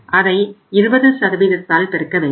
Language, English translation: Tamil, So we have multiplied it by 20%